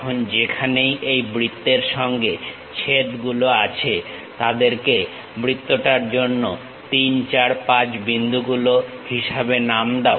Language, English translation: Bengali, Now, wherever these intersections are there with the circle name them as 3, 4, 5 points for the circle